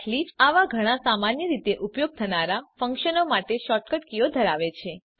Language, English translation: Gujarati, Eclipse has shortcut keys for many such commonly used functions